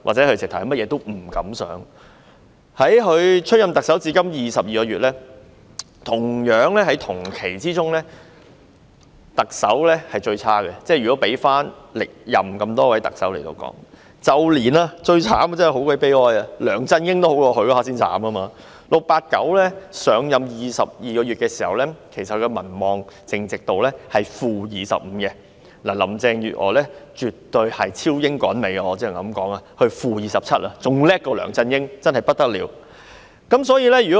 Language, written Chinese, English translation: Cantonese, 林鄭月娥出任特首至今22個月，如果與歷任特首比較，她在相同期間內的民望是最差的，最慘的是梁振英比她還要好 ，"689" 上任22個月時，其民望淨值是 -25%； 至於林鄭月娥，我只能說絕對是超英趕美，她的民望淨值是 -27%， 比梁振英還要厲害，真是不得了。, Compared to her predecessors her popularity rating is the worst in the corresponding period and it is most unfortunate that even LEUNG Chun - ying fared better than her . At the time when 689 had taken up office for 22 months his net approval rate was - 25 % . As for Carrie LAM I can only say that she has surpassed her predecessors for her net approval rate is - 27 % which is more formidable than LEUNG Chun - ying and it is really something